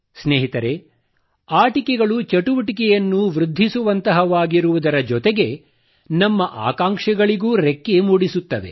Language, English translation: Kannada, Friends, whereas toys augment activity, they also give flight to our aspirations